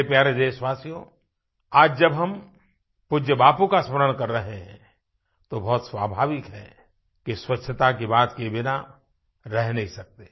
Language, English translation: Hindi, My dear countrymen, while remembering revered Bapu today, it is quite natural not to skip talking of cleanliness